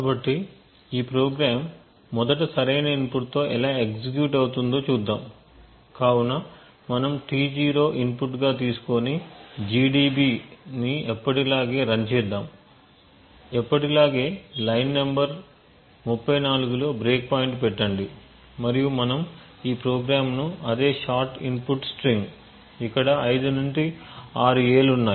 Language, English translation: Telugu, So let us just go through how this program executes with the right input first, so we will as you shall run gdb with T 0 as input list thing as usual put a breakpoint in line number 34 and we run this program giving the same shot input string, there are five to six A over here